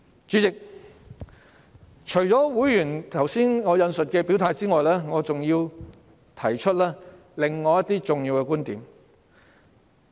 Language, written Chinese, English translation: Cantonese, 主席，除了我剛才引述的會員的表態外，我還想提出另一些重要觀點。, Chairman apart from members stance cited by me just now I wish to raise some other important viewpoints . We all know that education is of vital importance